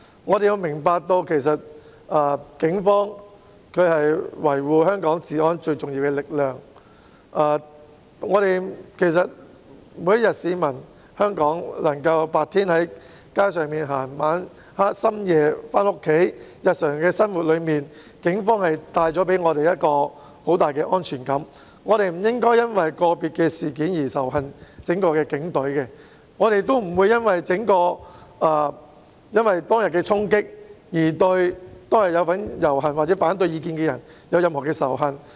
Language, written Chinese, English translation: Cantonese, 我們要明白，其實警隊是維護香港治安的最重要力量，香港市民白天能夠在街上行走，在深夜回家，全賴警隊在日常生活中為我們帶來很大的安全感，我們不應因為個別的事件而仇恨整支警隊，正如我們亦不會因為當日的衝擊行為而對參與遊行或持反對意見的人抱持任何仇恨。, We should understand that the Police Force are in fact the most important force maintaining law and order in Hong Kong . The fact that Hong Kong people can walk on the streets during the day and go home late at night is attributable to the Police who provide us with a strong sense of security in our daily life . We should not hold any hatred against the whole Police Force due to individual incidents just as we would not show hostility towards those who have participated in the processions or those who hold an opposing view because of the charging acts on that day